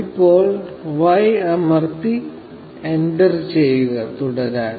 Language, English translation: Malayalam, Now, press y and enter to continue